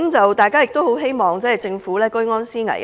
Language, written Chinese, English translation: Cantonese, 我們亦很希望政府居安思危。, We also urge the Government to get prepared for the tough times